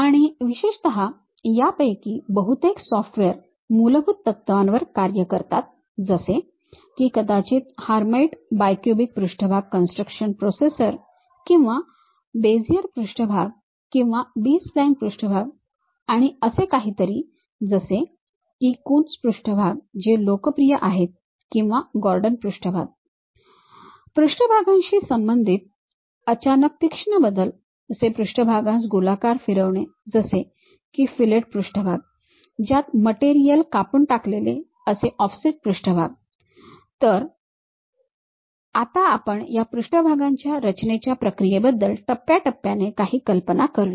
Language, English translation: Marathi, And, especially most of these softwares work on basic principles like maybe going with hermite bicubic surface construction processors or Beziers surfaces or B spline surfaces something like, Coons surfaces which are popular or Gordon surfaces sudden sharp changes associated with surfaces, something like rounding of surfaces like fillet surfaces, something like chopping off these materials named offset surfaces